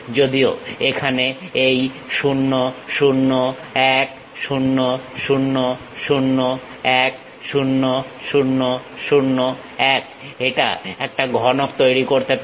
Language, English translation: Bengali, Though here this 0 0 1 0 0 0 1 0 0 0 1, it may be forming a cuboid